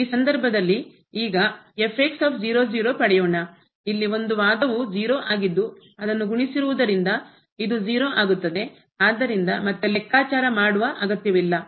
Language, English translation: Kannada, So, in this case: and now at 0 0, so this will become 0 because of this product there, so no need to compute again